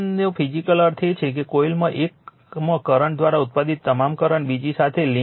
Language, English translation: Gujarati, Physical meaning of K 1 is that, all the flux produced by the current in one of the coil links the other right